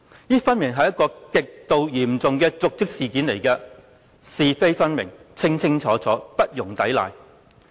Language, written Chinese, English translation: Cantonese, 這顯然是極度嚴重的瀆職事件，是非分明，清清楚楚，不容抵賴。, Rather this is obviously a serious dereliction of duty . The rights and wrongs of this case are obvious and no denial is possible